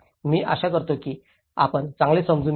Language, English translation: Marathi, I hope you understand better